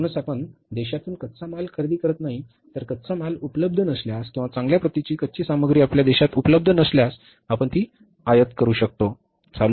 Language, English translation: Marathi, If the raw material is not available, good quality raw material is not available within the country, you can import it